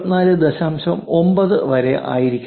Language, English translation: Malayalam, 9 or is it 24